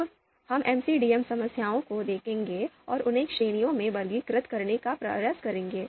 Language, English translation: Hindi, Now we will look at the MCDM problems and try to classify them into understandable categories